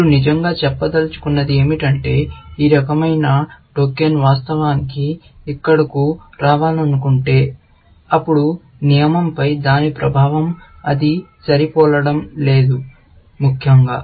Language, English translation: Telugu, What you want to really say is that if a token of this kind want to actually, come here, then its effect on the rule will be that it will not match, essentially